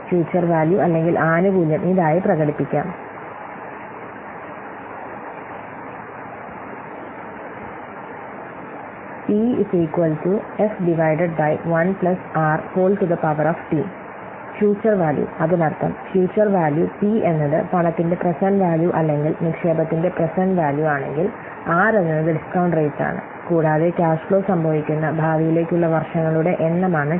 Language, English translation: Malayalam, The future value or the benefit can be expressed as p by 1 plus r to the part T where p is the future value, that means F is the future value, P is the present value of the money or the present value of the investment or the discount rate and the t the number of years into the future that the cash flow occurs